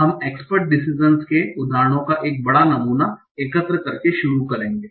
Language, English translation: Hindi, We will start by collecting a last sample of instances of expert decisions